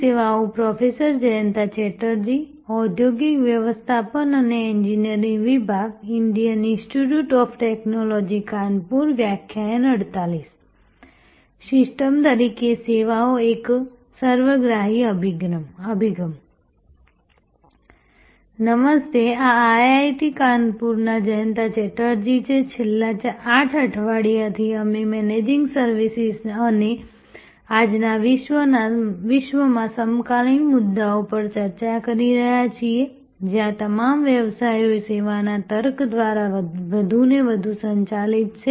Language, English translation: Gujarati, Hello, this is Jayanta Chatterjee from IIT Kanpur, for last 8 weeks we have been interacting on Managing Services and the contemporary issues in today’s world, where all businesses are more and more driven by the service logic